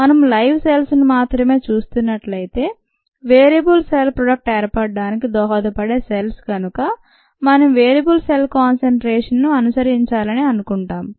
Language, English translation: Telugu, if we look at ah live cells alone, because the viable cells are the once that are contributing to product formation and so on, we would want to follow the viable cell concentration ah